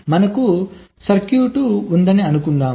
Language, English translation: Telugu, ah, we have a circuit